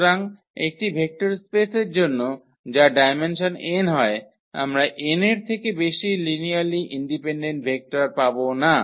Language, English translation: Bengali, So, for a vector space whose dimension is n we cannot get more than n linearly independent vectors